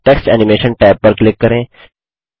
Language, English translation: Hindi, Click on the Text Animation tab